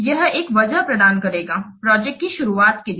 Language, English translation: Hindi, It will provide a justification for starting of the project